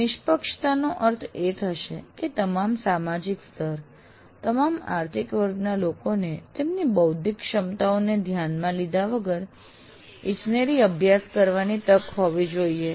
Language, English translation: Gujarati, Equity would mean that people belonging to all social strata, all economic strata should have chance to study engineering